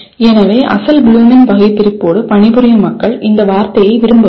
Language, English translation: Tamil, So people who work with original Bloom’s taxonomy, they do not like this word